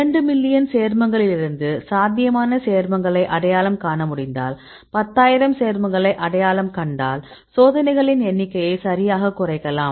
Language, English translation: Tamil, So, if you could identify the potential compounds from the two million compounds, and we identify ten thousand compounds, then we can reduce the number of experiments right